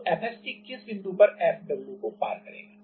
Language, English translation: Hindi, So, at which point F ST will be just crossing the F weight